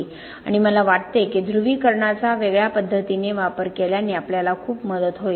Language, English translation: Marathi, And I think that using the depolarization in a different way would help us tremendously